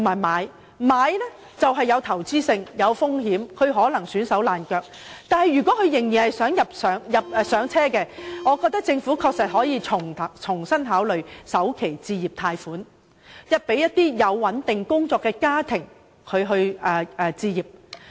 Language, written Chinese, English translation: Cantonese, 買樓屬投資行為，帶有風險，可能會弄至焦頭爛額，但如果人們仍然希望"上車"，政府確實可以重新考慮推行首期置業貸款，協助有穩定工作的家庭置業。, Home acquisition is an investment activity and risk may be incurred to cause great losses . However for those who still want to achieve home ownership the Government could indeed reconsider the proposal of providing home starter loans to assist families with steady income to purchase their own property